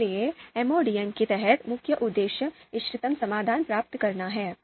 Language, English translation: Hindi, So under MODM, so this is the main aim obtaining optimal solution